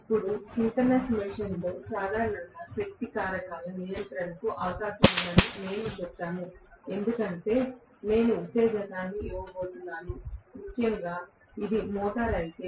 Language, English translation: Telugu, Now, we also said that there is a possibility of power factor control in general, in a synchronous machine because I am going to give excitation, especially if it is a motor